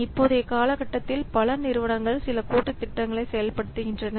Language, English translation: Tamil, So, nowadays many companies, they do some collaborative projects